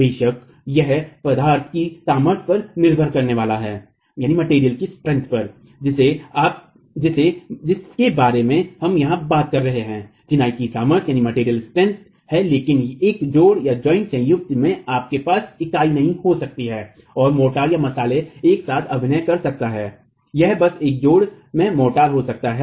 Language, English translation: Hindi, Of course that is going to be dependent on the material strength and the material strength that we are talking about here is the strength of masonry but at a joint you might not have the unit and the motor acting together it might simply be the motor in a joint so it could even be the motor compressive strength